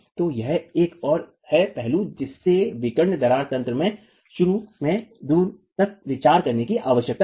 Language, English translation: Hindi, So, this is a further aspect that needs to be considered as far as the diagonal cracking mechanism is concerned